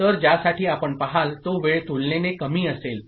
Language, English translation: Marathi, So, for which you will see the time will be relatively less